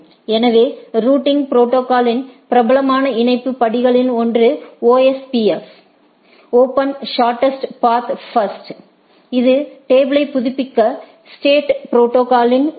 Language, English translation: Tamil, So, one of the popular link step of routing protocol is the OSPF: Open Shortest Path First, which uses is in state protocol to update table